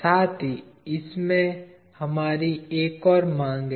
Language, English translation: Hindi, Also we have another requirement in this